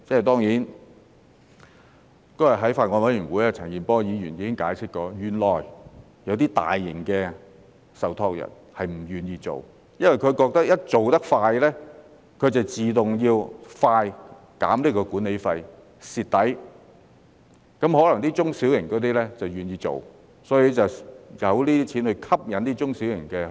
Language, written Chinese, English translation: Cantonese, 當然，那天在法案委員會，陳健波議員已解釋，原來有些大型受託人並不願意這樣做，因為他們覺得一旦做得快，便要自動快一點減低管理費，會"蝕底"；至於中小型受託人則可能願意去做，所以便有這些錢來吸引中小型受託人先行去做。, Certainly in the Bills Committee the other day Mr CHAN Kin - por has explained that some large trustees are actually unwilling to work in this way because in their view if they work too fast they will have to automatically reduce the management fees more quickly and suffer a loss whereas small and medium - sized trustees may be willing to do so . Consequently such money is provided to incentivize small and medium - sized trustees to do it first